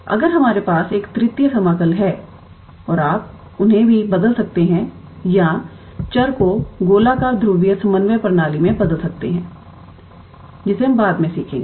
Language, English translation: Hindi, If we have a triple integral, then you can also transform them to or change the variables to spherical polar coordinate system, which we will learn later on